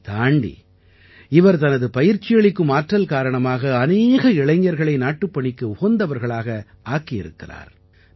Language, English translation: Tamil, Despite this, on the basis of his own training, he has made many youth worthy of national service